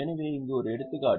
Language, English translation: Tamil, So, here is an example